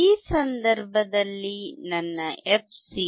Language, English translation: Kannada, In this case my fc would be 1